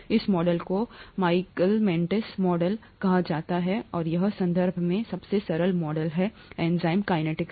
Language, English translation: Hindi, This model is called the Michaelis Menten model and it’s the simplest model in terms of enzyme kinetics